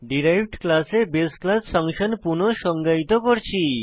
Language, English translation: Bengali, Redefining a base class function in the derived class